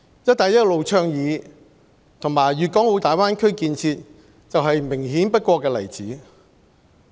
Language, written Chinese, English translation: Cantonese, "一帶一路"倡議和粵港澳大灣區建設就是明顯不過的例子。, The Belt and Road Initiative and the development of the Guangdong - Hong Kong - Macao Greater Bay Area are the most obvious examples